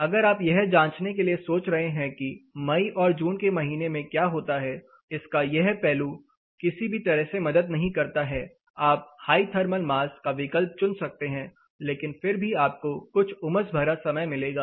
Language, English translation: Hindi, Say imagine you are wondering to check what happens in the month of May and June in this particular thing, this side of it does not help any way, you can opt for high thermal mass, but still you have some sultry times